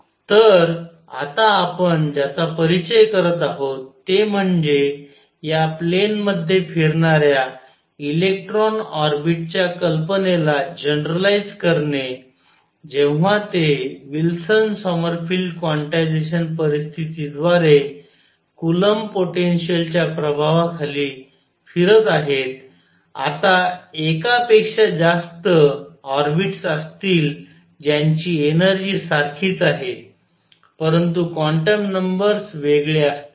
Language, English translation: Marathi, So, what we have now introduce generalize the idea of these orbits of electrons moving in a plane when they are moving under the influence of a coulomb potential through Wilson Sommerfield quantization conditions now will a more orbits then one that have the same energy; however, different quantum numbers